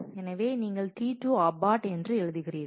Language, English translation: Tamil, So, you write T 2 abort